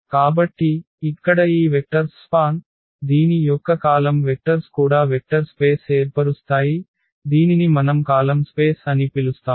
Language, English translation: Telugu, So, here also the span of these vectors of or the columns, column vectors of this a will also form a vector space which we call the column space